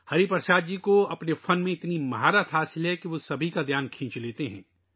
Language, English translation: Urdu, Hariprasad ji is such an expert in his art that he attracts everyone's attention